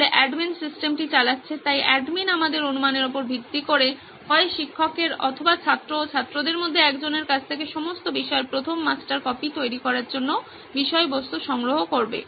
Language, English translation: Bengali, The admin is running the system, so the admin would collect the content from either the teacher based on our assumption or from student, one of the student to create the first master copy for all the subjects